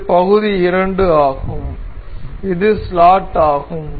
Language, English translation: Tamil, So, the part this is part 2, this is slot